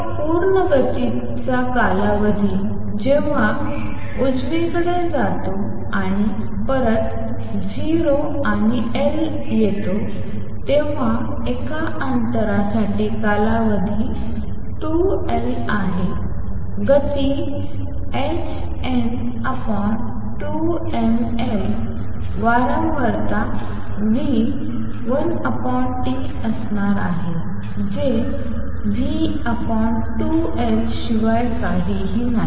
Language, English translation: Marathi, The time period for 1 complete motion is going to be when it goes to the right and comes back 0 and L therefore, the distance for a time period is 2 L speed is h n over 2 m L frequency nu is going to be one over T which is nothing but v over 2 L